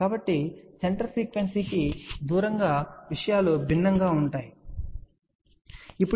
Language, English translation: Telugu, So, away from the center frequency things will be different, ok